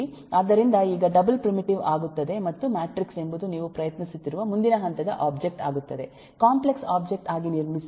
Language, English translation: Kannada, so now double becomes a primitive and matrix is the next level of object, complex object, that you are trying to build up